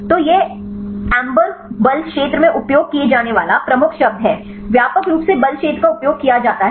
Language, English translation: Hindi, So, this is the major terms used in amber force field is widely used force field